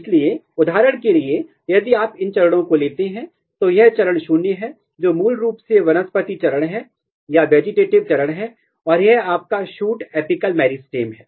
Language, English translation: Hindi, So, for example, if you take these stages, this is stage 0 which is basically vegetative phase and this is your shoot apical meristem